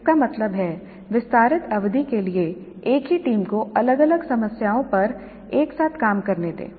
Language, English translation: Hindi, That means for extended periods let the same teams work together on different problems